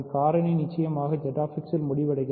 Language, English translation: Tamil, So, factoring definitely terminates in Z X